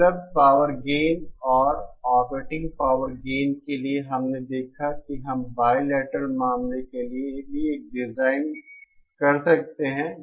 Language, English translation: Hindi, For the available power gain and the operating power gain, we saw that we can do a design even for the bilateral case